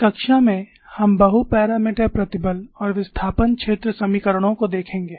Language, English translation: Hindi, In this class, we will look at multi parameter stress and displacement field equations